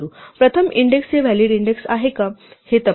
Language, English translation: Marathi, First check that the index is a valid index